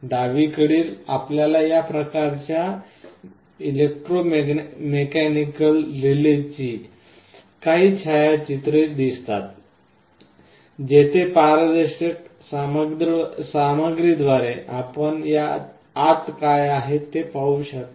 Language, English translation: Marathi, On the left you see some pictures of this kind of electromechanical relays, where through a transparent material you can see what is inside